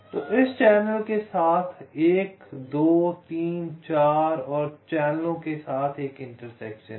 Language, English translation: Hindi, so with this channel there is a intersection with one, two, three, four mode channels